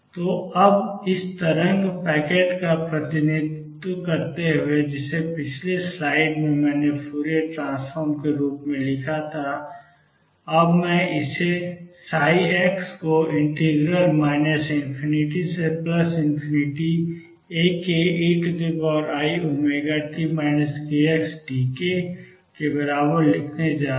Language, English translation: Hindi, So now, back to this representing this wave packet which in the previous slide I wrote as a Fourier transform, and I am going to write this psi x as equal to minus infinity to infinity A k e raise to i omega t minus k x d k